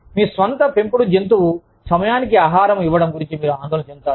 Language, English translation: Telugu, But, you will be stressed about, your own pet, being fed on time